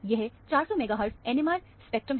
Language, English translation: Hindi, This is a 400 megahertz NMR spectrum